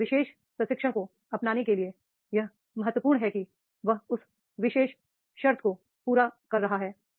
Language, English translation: Hindi, To adopt that particular training it is important that is he is having that particular prerequisite skills